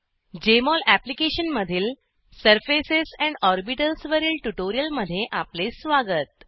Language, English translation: Marathi, Welcome to this tutorial on Surfaces and Orbitals in Jmol Application